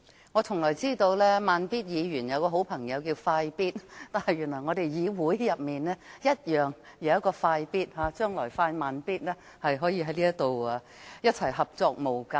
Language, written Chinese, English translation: Cantonese, 我只知道"慢咇"議員有位好朋友叫"快咇"，但原來議會也有一位"快咇"，將來"快、慢咇"便可在議會合作無間。, I know that Mr Slow Beat has a good friend called Fast Beat and I found out just now that we also have a Fast Beat in this Council . In the future Slow Beat and Fast Beat may work closely together in the legislature